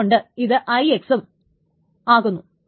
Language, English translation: Malayalam, The thing is that T2 is IX